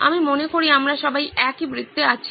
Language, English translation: Bengali, I think we are all in the same circle